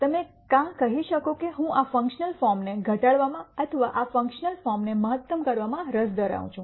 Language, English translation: Gujarati, You could either say I am interested in mini mizing this functional form or maximizing this functional form